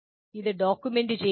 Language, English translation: Malayalam, Can you document that